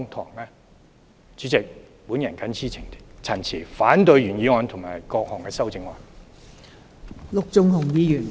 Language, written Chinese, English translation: Cantonese, 代理主席，我謹此陳辭，反對原議案和各項修正案。, With these remarks Deputy President I oppose the original motion and all amendments